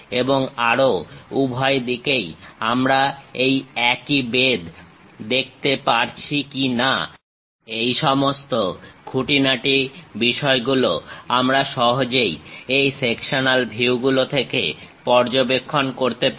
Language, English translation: Bengali, And further, whether this same thickness we will see it on both sides or not; this kind of intricate details we can easily observe through this sectional views